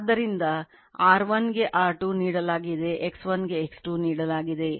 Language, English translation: Kannada, So, R 1 is given R 2 is given, X 1 is given X 2 X 2 is given